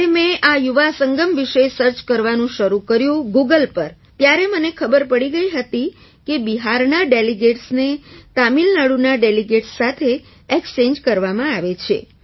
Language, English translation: Gujarati, When I started searching about this Yuva Sangam on Google, I came to know that delegates from Bihar were being exchanged with delegates from Tamil Nadu